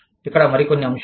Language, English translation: Telugu, Some more factors here